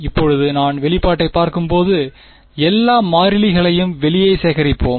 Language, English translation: Tamil, Now when I look at this expression let us just gather all the constants outside